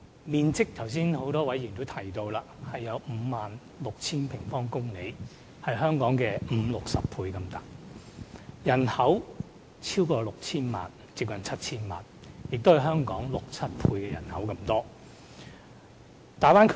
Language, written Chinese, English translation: Cantonese, 面積方面約為 56,000 平方公里，是香港面積的五六十倍；人口超過 6,000 萬，接近 7,000 萬，是香港人口的六七倍。, Measuring 56 000 sq km or so the Bay Area is 50 to 60 times the size of Hong Kong . Its population is six to seven times that of Hong Kong ie . exceeding 60 million and approaching 70 million